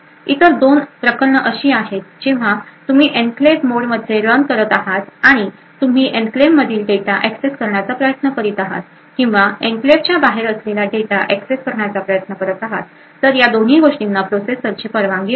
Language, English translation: Marathi, The two other cases are when you are actually running in the enclave mode and you are trying to access data within the enclave or trying to access data which is outside the enclave so both of this should be permitted by the processor